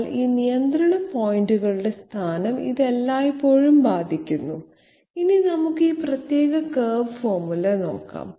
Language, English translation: Malayalam, But it is always affected by the location of these control points; now let us have a look at this particular curve formula